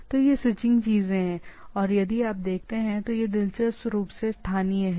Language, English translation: Hindi, So, this switching things are there and if you see this is interestingly localized